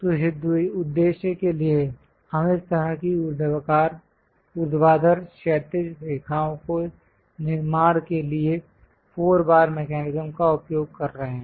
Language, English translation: Hindi, So, for that purpose we are using four bar mechanism to construct this kind of vertical, horizontal lines